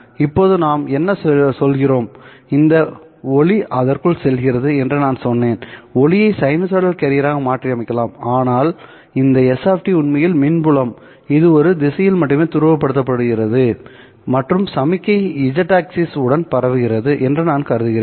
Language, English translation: Tamil, I have said that light can be modeled as a sinusoidal carrier, but this S of T is actually the electrical field which I am assuming is polarized in only one direction and this signal is propagating along Z axis